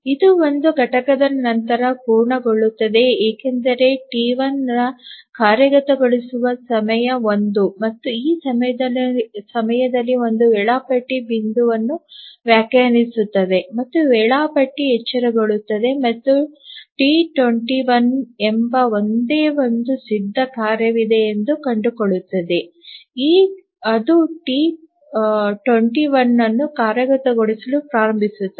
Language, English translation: Kannada, It completes after one unit because execution time of T1 is 1 and at that point defines a scheduling point and the scheduler will wake up and find that there is only one ready task which is T2 1 it will start executing T2 1